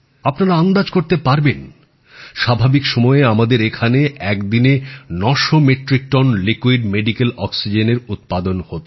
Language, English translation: Bengali, You can guess for yourself, in normal circumstances we used to produce 900 Metric Tonnes of liquid medical oxygen in a day